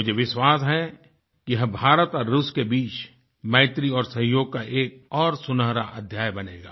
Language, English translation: Hindi, I am confident that this would script another golden chapter in IndiaRussia friendship and cooperation